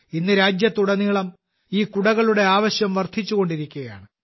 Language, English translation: Malayalam, Today the demand for these umbrellas is rising across the country